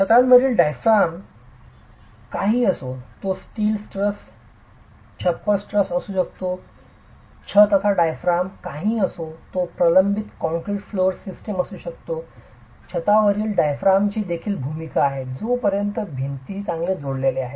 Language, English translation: Marathi, The roof diaphragm, whatever be the roof diaphragm, it could be a steel truss roof, it could be a reinforced concrete flow system, whatever be the roof diaphragm